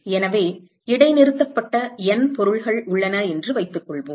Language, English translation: Tamil, So, let us assume that there are let us say N objects which are suspended